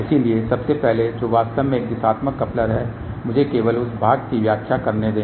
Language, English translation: Hindi, So, first of all what is really a directional coupler let me just explain that part